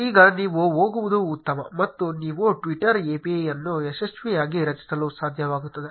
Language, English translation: Kannada, Now you are good to go, and you will able to create a twitter API successfully